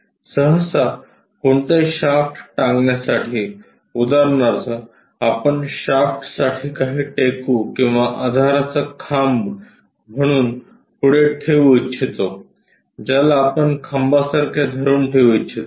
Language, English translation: Marathi, Usually to suspend any shaft, for example, we would like to keep some shaft passing through that as a support or mast, something like a pole we would like tohold it